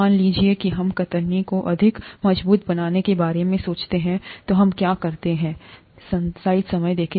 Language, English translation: Hindi, Suppose we think of making the cells more robust to shear, what do we do